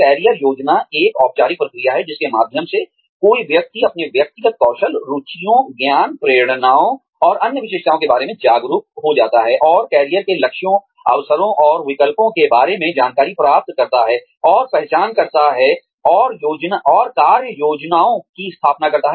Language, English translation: Hindi, Career Planning is the formal process, through which, someone becomes aware of, his or her personal skills, interests, knowledge, motivations, and other characteristics, and acquires information about, opportunities and choices, and identifies career goals, and establishes action plans, to attain specific goals